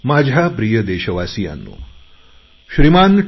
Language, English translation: Marathi, My dear countrymen, Shri T